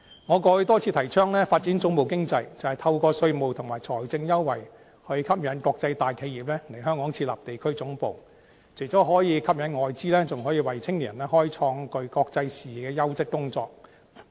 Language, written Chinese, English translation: Cantonese, 我過去多次提倡發展總部經濟，便是透過稅務和財政優惠，吸引國際大企業來港設立地區總部，除了可以吸引外資，還可以為青年人開創具國際視野的優質工作。, In the past I advocated many times the development of a headquarters economy which is attracting international corporations to set up local headquarters in Hong Kong through offering tax and financial concessions . Apart from attracting foreign investment this can also create quality jobs with international vision for the young people